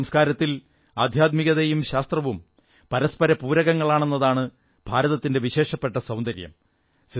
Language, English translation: Malayalam, This is India's unique beauty that spirituality and science complement each other in our culture